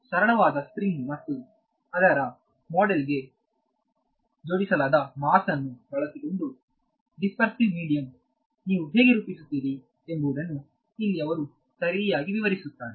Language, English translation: Kannada, So, here he describes very properly what how do you model the dispersive medium using a simple spring and mass attached to it models